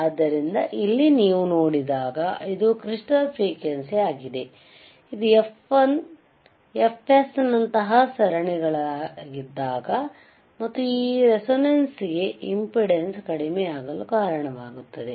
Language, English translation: Kannada, So, here when you see, this is a crystal frequency, when it is in series like ffs, and also this is resonance will cause the impedance to decrease